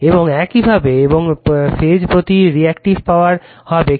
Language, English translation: Bengali, And the similarly, and the reactive power per phase will be Q p is equal to V p I p sin theta right